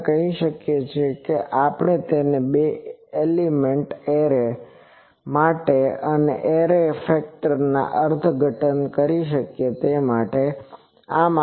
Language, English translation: Gujarati, We can say, we can interpret it as the array factor for two element array